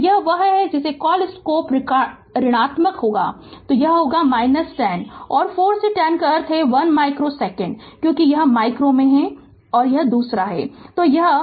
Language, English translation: Hindi, So, this is one what you call slope will be negative, so it will be minus 10 and 4 to 5 means this is 1 micro second, because it is in micro second